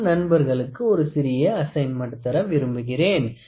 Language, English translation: Tamil, So, I would like to give a small assignment to our friends